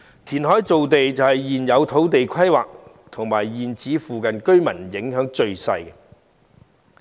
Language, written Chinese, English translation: Cantonese, 填海造地對現有土地規劃及現址附近居民影響最小。, Reclamation of land has minimal impact on the current land planning and residents in the vicinity of the existing sites